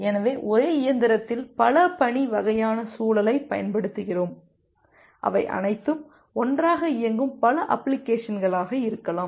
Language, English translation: Tamil, So, that way on a single machine because we are utilizing this kind of multi tasking environment, they are can be multiple such applications which are running all together